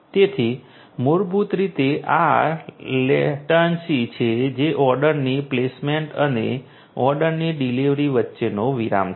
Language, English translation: Gujarati, So, basically this is this latency that the lag between the placement of the order and the delivery of the order